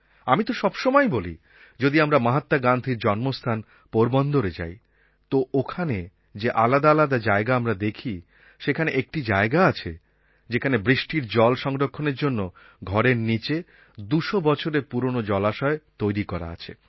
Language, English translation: Bengali, I have always said that people who visit Porbandar, the birthplace of Mahatma Gandhi, can also see there the underground tanks constructed about 200 years ago, that were built to save rain water